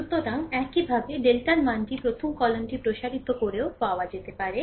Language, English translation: Bengali, So, similarly, your the value of delta may also be obtained by expanding along the first column